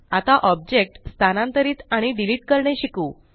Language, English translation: Marathi, Now let us learn how to move and delete objects